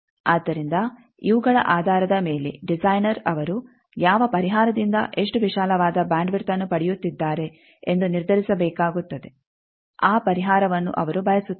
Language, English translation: Kannada, So, based on these designer will have to decide whether he wants to how much wider bandwidth he is getting from which solution that solution he prefers